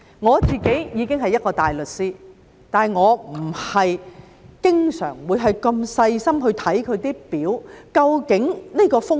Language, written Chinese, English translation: Cantonese, 我已經是一個大律師，但我也不是經常會如此小心地看那些表和究竟有多少風險。, I am a barrister and yet I do not always so carefully look at those charts and find out how much risk is involved